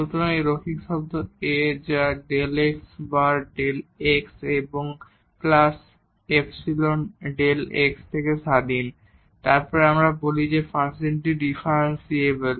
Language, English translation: Bengali, So, this linear term A which is independent of delta x times delta x and plus epsilon delta x, then we call that the function is differentiable